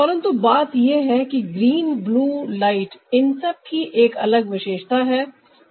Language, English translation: Hindi, the thing is that the green blue light will have a different characteristics